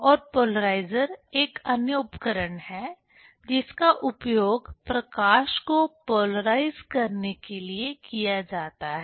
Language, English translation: Hindi, And polarizer, this is another tool, which is used to polarize the light